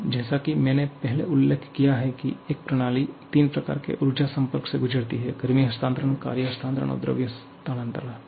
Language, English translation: Hindi, Now, as you have mentioned earlier a system can undergo three kinds of energy interaction; heat transfer, work transfer and mass transfer